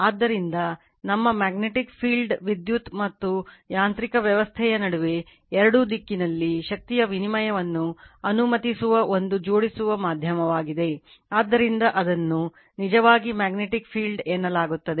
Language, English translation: Kannada, So, and our magnetic field actually is a coupling medium allowing interchange of energy in either direction between electrical and mechanical system right, so that is your what you call that at your it is what a actually magnetic field